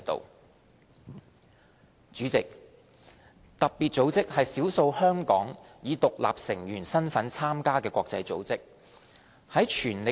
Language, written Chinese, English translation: Cantonese, 代理主席，特別組織是少數香港以獨立成員身份參加的國際組織。, Deputy President FATF is one of the few international organizations that Hong Kong has joined as an independent member